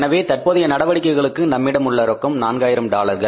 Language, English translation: Tamil, So, cash available for the current operations was $4,000